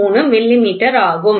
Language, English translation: Tamil, 03 millimeter, ok